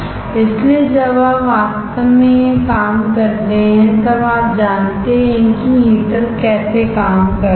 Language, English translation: Hindi, So, when you actually operate this is how the heater is operating